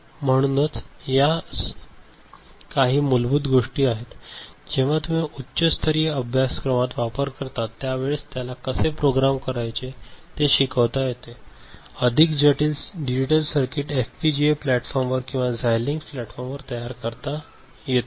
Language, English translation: Marathi, So, these are some very basic things and more when you use them in higher level course and when you learn how to program it and get more complex digital circuit implemented on FPGA platform or Xilinx platform